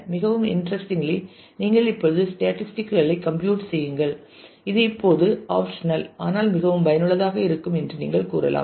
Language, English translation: Tamil, And very most interestingly you could say that compute statistics now this is something which is optional, but is very useful